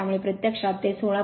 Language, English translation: Marathi, Therefore it is actually 16